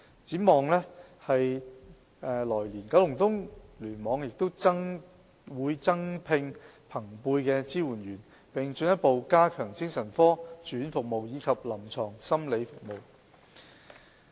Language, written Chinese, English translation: Cantonese, 展望來年，九龍東聯網會增聘朋輩支援者，並進一步加強精神科住院服務及臨床心理服務。, In the next year KEC will recruit additional peer supporters and further enhance psychiatric hospital care and clinical psychology service